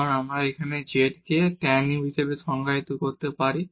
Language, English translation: Bengali, So, we have z is equal to tan u